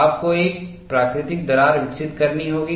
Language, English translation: Hindi, You have to develop a natural crack